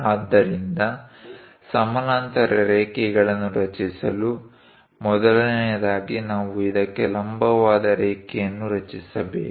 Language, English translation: Kannada, So, to construct parallel lines, first of all, we have to construct a perpendicular line to this